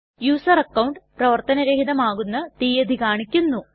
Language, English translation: Malayalam, Show the date on which the user account will be disabled